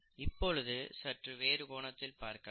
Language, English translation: Tamil, Now, let us look at a slightly different aspect